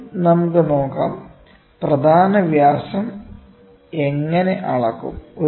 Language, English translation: Malayalam, First let us see, how do we measure the major diameter